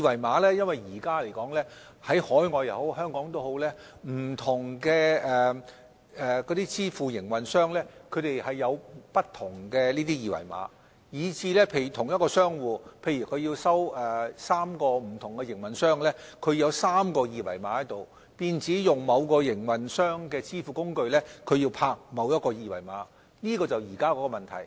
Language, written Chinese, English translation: Cantonese, 目前來說，不論在海外或香港，不同的支付工具營運商設有不同的二維碼，假如同一個商戶要收取3個不同營運商的費用，便要有3個二維碼，若他要用某個營運商的支付工具，便要掃描某個二維碼，這便是現時的問題。, At present be it overseas or in Hong Kong different SVF operators have different QR codes . If the same merchant needs to accept payments from three different operators there will be three QR codes . To use a certain operators SVF he will have to scan a certain QR code